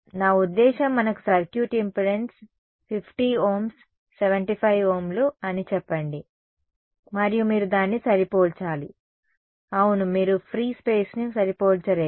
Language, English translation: Telugu, I mean you have your circuit impedance as let us say 50 Ohms, 75 Ohms and then you have to match it over there you yeah you cannot match free space